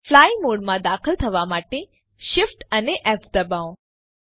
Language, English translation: Gujarati, Press Shift, F to enter the fly mode